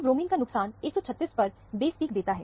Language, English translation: Hindi, So, the loss of bromine gives a base peak at 136